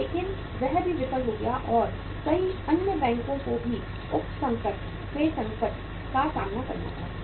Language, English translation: Hindi, But that also failed and many other banks also had to face the heat of the subprime crisis